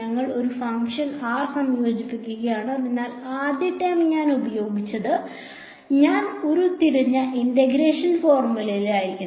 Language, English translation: Malayalam, I am integrating a function r so, first term should be I am using that the integration formula which I had derived